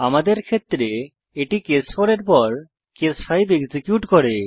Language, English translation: Bengali, In our case, it executed case 5 after case 4